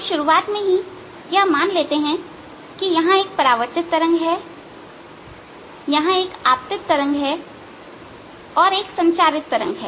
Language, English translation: Hindi, we are going to assume right in the, the beginning there is a reflected wave, there is an incident wave and there is a transmitted wave